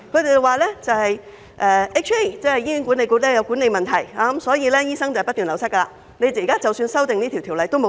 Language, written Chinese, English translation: Cantonese, 他們指出，醫管局有管理問題，所以醫生不斷流失，修訂這項條例也沒用。, According to them it is the management problems of HA that cause a continuous drain on doctors; therefore the amendment to this Ordinance is not going to help